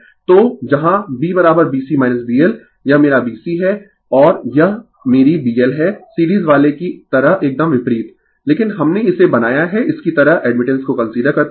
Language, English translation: Hindi, So, where B is equal to B C minus B L right, this is my B C and this is my B L just opposite like your series one, but we have made it like this considering admittance